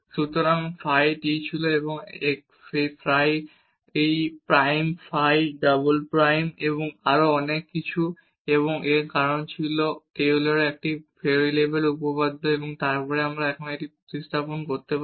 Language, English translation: Bengali, So, the phi t was this phi prime phi double prime and so on and this was because of the Taylor’s theorem of one variable and then we can substitute now